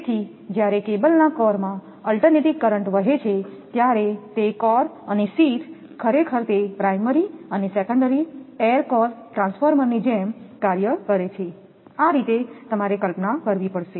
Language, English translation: Gujarati, So, when alternating current flows in the core of a cable, the core and sheath actually it acts like your primary and secondary of an air core transformer, this way you have to imagine